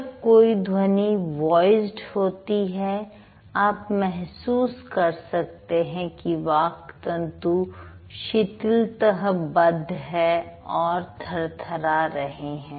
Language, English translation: Hindi, So, when the speech sound is voiced, you can feel that the vocal chords are loosely held together and it vibrates also